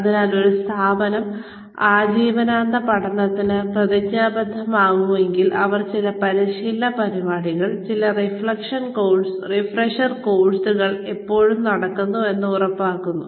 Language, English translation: Malayalam, So, if an organization is committed, to lifelong learning, then they ensure that, some training program, some refresher course, is always going on